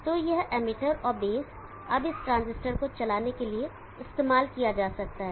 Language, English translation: Hindi, So this emitter and the base can now be used for driving this transistor